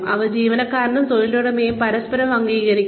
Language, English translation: Malayalam, They should be acceptable to the employee